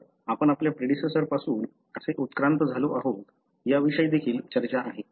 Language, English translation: Marathi, So, that is also talks about how we evolved from, may be from our predecessors